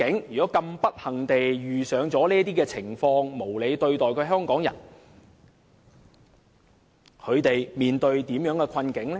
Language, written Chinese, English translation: Cantonese, 如果不幸遇到這些情況，被無理對待的香港人將會面對甚麼困境呢？, What Hong Kong people can do if this sort of unfortunate incident befalls them and they are unreasonably treated?